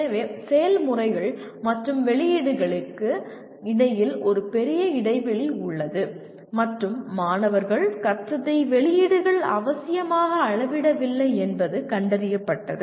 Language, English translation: Tamil, So there is a large gap between processes and outputs and it was found the outputs did not necessarily measure what the students learnt